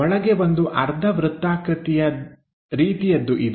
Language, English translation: Kannada, Inside there is a semi circle kind of thing